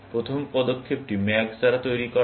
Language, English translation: Bengali, The first move is made by max